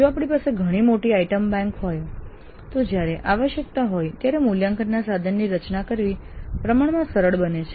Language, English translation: Gujarati, If you have a reasonably large item bank then it becomes relatively simpler to design an assessment instrument when required